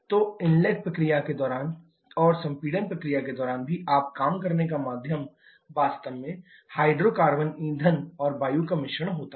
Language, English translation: Hindi, So, during the inlet process and also during the compression process your working medium is actually a mixture of hydrocarbon fuel and air